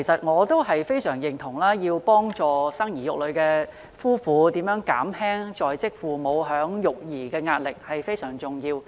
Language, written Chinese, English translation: Cantonese, 我對此非常認同，因為幫助生兒育女的夫婦減輕在職父母的育兒壓力，是非常重要的。, I strongly concur with that because it is very important to help couples who have children and reduce the parenting pressure on working parents . I also have the experience